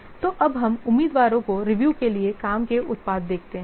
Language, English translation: Hindi, So now let's see candidates work products for review